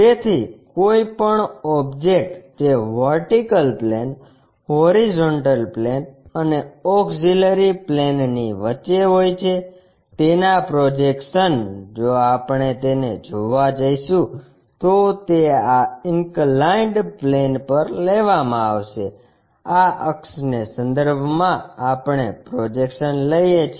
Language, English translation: Gujarati, So, any object which is in between vertical plane, horizontal plane and auxiliary plane, the projections if we are going to see it that will be taken on this inclined plane; about this axis we construct the projections